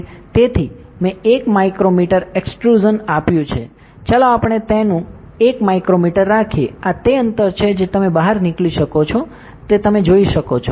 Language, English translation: Gujarati, So, I have given 1 micro meter extrusion, let us keep its 1 micrometer, this is the distance to be extruded you can see that, ok